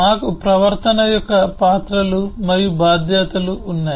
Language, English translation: Telugu, we have roles and responsibilities of behavior